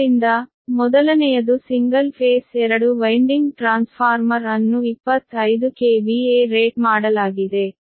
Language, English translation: Kannada, so first, one is a single phase two winding transformer is rated twenty five k v a